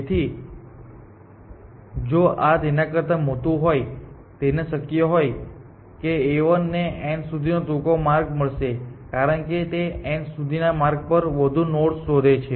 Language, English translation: Gujarati, So, if this will be greater than so, is possible that A 1 might find a shorter paths to n because it is explore more nodes on the way to n essentially